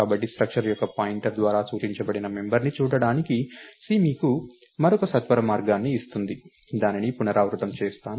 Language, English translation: Telugu, So, C gives you another shortcut to look at the member that is pointed to by a pointer of a structure, shall repeat that